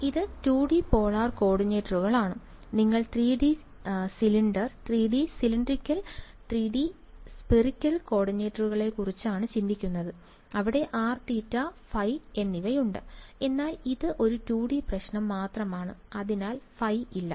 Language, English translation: Malayalam, Sir, in coordinates we have r theta and phi right This is 2 D polar coordinates; you are thinking of 3D cylindrical 3D spherical coordinates where there is a r theta and phi but this is just a 2 D problem, so there is no phi yeah